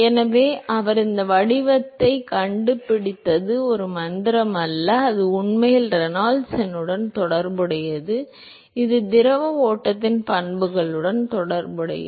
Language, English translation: Tamil, So, it is not a magic that he found this form it is actually related to the Reynolds number, it is related to the properties of the fluid flow